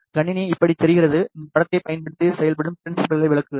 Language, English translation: Tamil, The system looks like this I will explain the working principle using this image